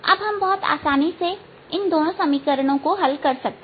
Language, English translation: Hindi, now we can very easily solve these two equations